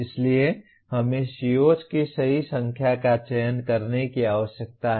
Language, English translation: Hindi, So we need to select the right number of COs